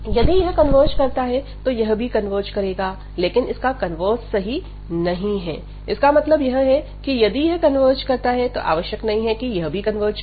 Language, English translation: Hindi, So, this converge so if this converges, but the converse is not true meaning that so this will converge if this converges, but if this converges this may not converge